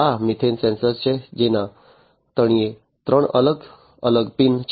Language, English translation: Gujarati, This is the methane sensor with three different pins at the bottom of it